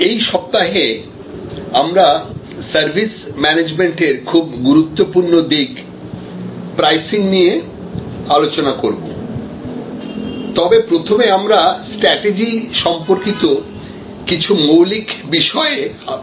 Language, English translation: Bengali, During this week, while we look at some important aspects of services management like pricing, we will first review some fundamental considerations with respect to strategy